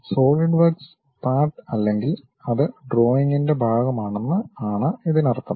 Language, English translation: Malayalam, It means that Solidworks part or it is part of part the drawing